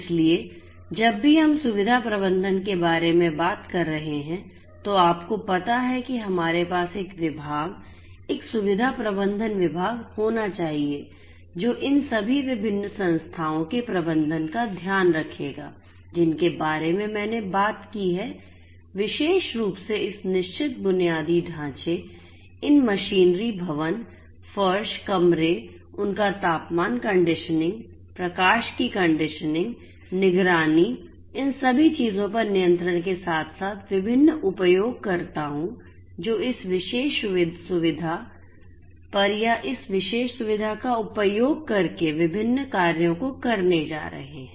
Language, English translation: Hindi, So, whenever we are talking about facility management you know we need to have a department a facility management department which will take care of the management of all of these different entities that I have talked about, particularly this fixed infrastructure, these machinery, the buildings, the floors, the rooms, they are temperature conditioning, the lighting conditioning, monitoring control all of these things plus the different users and the different actors who are going to perform different actions on this particular facility or using this particular facility